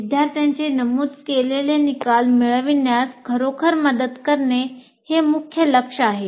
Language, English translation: Marathi, The main goal is really to facilitate the students to attain the stated course outcomes